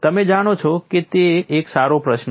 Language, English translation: Gujarati, You know it is a good question